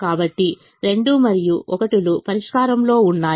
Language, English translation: Telugu, so two and one is the solution